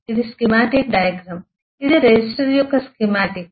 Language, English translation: Telugu, This is a schematic diagram which there is a schematic of a resistor